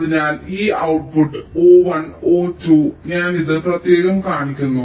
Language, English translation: Malayalam, so this output, o one and o two, i am showing it separately